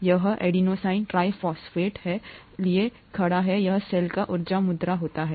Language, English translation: Hindi, This, this stands for adenosine triphosphate, this happens to be the energy currency of the cell